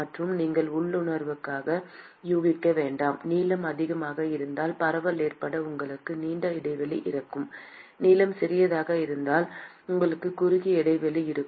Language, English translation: Tamil, And that you would sort of intuitively guess: if the length is longer, then you have a longer span for diffusion to occur; if the length is smaller, you have a shorter span